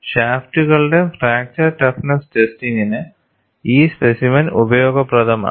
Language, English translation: Malayalam, And this specimen is useful for fracture toughness testing of shafts